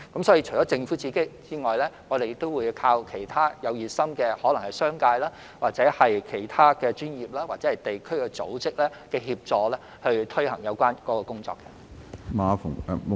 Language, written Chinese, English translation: Cantonese, 所以，除政府外，我們亦會依靠其他熱心的商界、其他專業或地區組織的協助，推行有關工作。, Hence apart from the Government we will also rely on the assistance of other enthusiastic business sector other professional or district organizations in implementing the relevant work